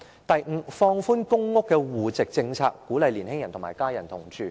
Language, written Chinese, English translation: Cantonese, 第五，放寬公屋的戶籍政策，鼓勵年青人與家人同住。, Fifth the household policy of PRH should be relaxed to encourage young people to live with their families